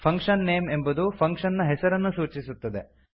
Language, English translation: Kannada, fun name defines the name of the function